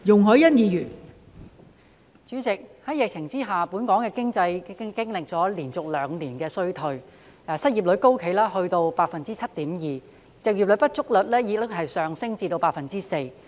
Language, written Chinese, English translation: Cantonese, 代理主席，在疫情下，本港的經濟已經歷連續兩年衰退，失業率高企，達到 7.2%， 就業不足率亦上升至 4%。, Deputy President under the pandemic Hong Kongs economy has already experienced recession for two consecutive years . The unemployment rate now stands high at 7.2 % while the underemployment rate also rises to 4 %